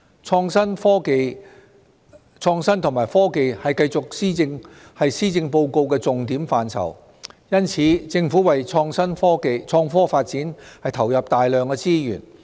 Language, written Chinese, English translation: Cantonese, 創新及科技繼續是施政報告的重點範疇，因此，政府為創科發展投入大量資源。, Innovation and technology IT continues to be a focus area in the Policy Address . For this reason the Government has injected a large amount of resources into the development of IT